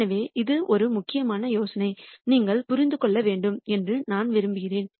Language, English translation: Tamil, So, this is a critical idea that I want you to understand